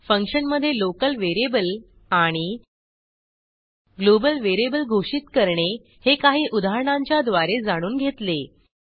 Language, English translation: Marathi, In this tutorial, we learnt To pass arguments to a function .To declare Local variable in a function To declare Global variable in a function